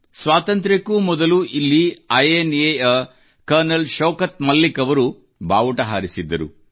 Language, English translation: Kannada, Here, even before Independence, Col Shaukat Malik ji of INA had unfurled the Flag